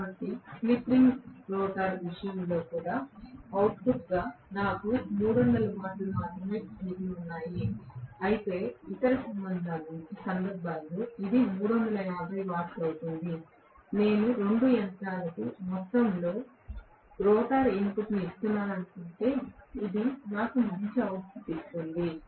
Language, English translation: Telugu, So, obviously I will have only 300 watts left over as the output in the case of slip ring rotor whereas in the other cases it will be 350 watts so, if I assume that I am giving the same amount of rotor input to both the machines which one will give me a better output